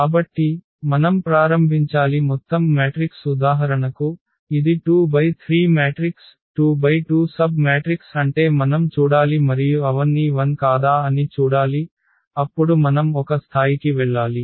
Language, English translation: Telugu, So, we have to start with the whole matrix if for example, it is 2 by 3 matrix then 2 by 2 submatrix is we have to look and see if they all are 0 then we have to go to the one level and so on